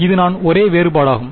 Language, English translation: Tamil, So, that is the only slight difference